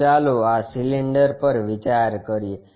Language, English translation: Gujarati, So, let us consider this cylinder